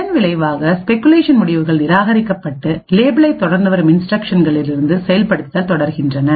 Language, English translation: Tamil, As a result the speculated results are discarded and execution continues from the instructions following the label